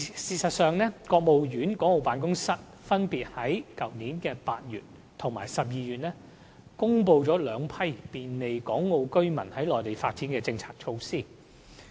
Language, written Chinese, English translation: Cantonese, 事實上，國務院港澳事務辦公室分別在去年8月及12月公布了兩批便利港澳居民在內地發展的政策措施。, Actually in August and December last year the Hong Kong and Macao Affairs Office of the State Council already announced two packages of policy and measures to facilitate the development of Hong Kong and Macao residents in the Mainland